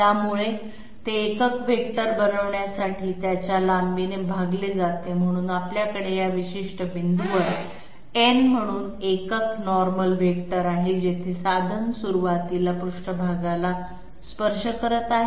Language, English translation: Marathi, So it is divided by its magnitude in order to make it a unit vector, so we have n as the unit normal vector at this particular point, where the tool is touching the surface initially